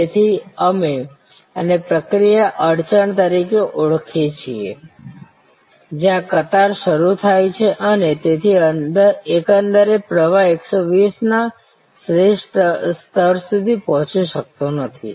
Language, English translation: Gujarati, So, this is what we called in process bottle neck, where queues start forming and therefore, the overall flow cannot reach the optimal level of 120